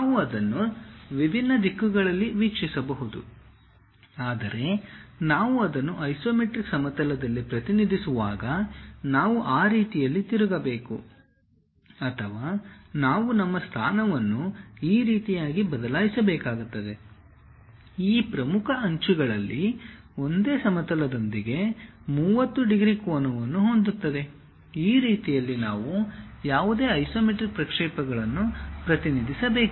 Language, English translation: Kannada, We can view it in different directions; but when we are representing it in isometric plane, we have to rotate in such a way that or we have to shift our position in such a way that, one of these principal edges makes 30 degrees angle with the plane, that is the way we have to represent any isometric projections